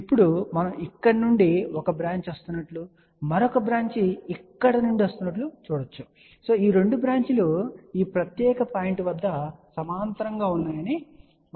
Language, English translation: Telugu, Now we can see that a one branch is coming from here another branch is coming from here and we can see that these 2 branches are coming in parallel at this particular point